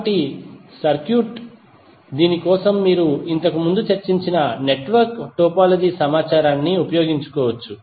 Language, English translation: Telugu, So for this you can utilize the network topology information which we discussed previously